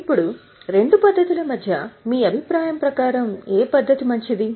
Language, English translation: Telugu, Now, between the two methods, which method is better in your opinion